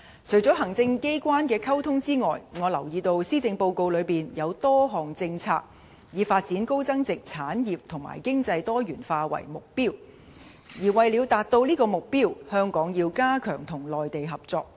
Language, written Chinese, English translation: Cantonese, 除了行政機關的溝通外，我留意到施政報告中有多項政策以發展高增值產業和經濟多元化為目標，而為了達致這些目標，香港要加強與內地合作。, In addition to communicating with the executive authorities I have noticed that a number of policies in the Policy Address are aimed at developing high value - added industries and achieving economic diversification . To this end it is necessary for Hong Kong to step up cooperation with the Mainland